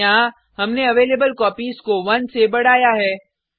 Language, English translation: Hindi, Here, we increment the availablecopies by 1